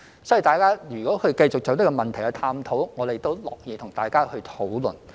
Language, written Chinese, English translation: Cantonese, 所以，如果大家繼續探討這個問題，我們都樂意與大家討論。, So if Members wish to continue to explore this problem we would be happy to discuss with them